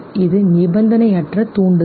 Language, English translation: Tamil, It is unconditioned stimulus